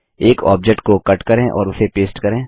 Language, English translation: Hindi, Cut an object and paste it